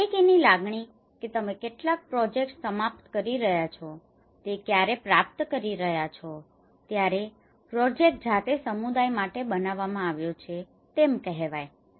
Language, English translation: Gujarati, Ownership feeling that when you are achieving when you are finishing some projects, the project is made for the community themselves